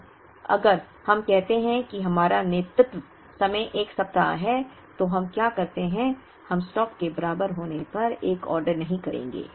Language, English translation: Hindi, Now, if we say that our lead time is 1 week, then what we do is, we will not place an order when the stock is equal to 0